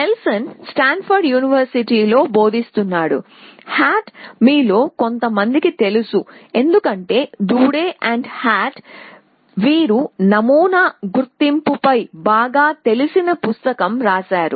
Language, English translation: Telugu, Nelson was teaching at Stanford, Hart some of you may know because Doodah and Hart, they wrote a very well known book on pattern recognition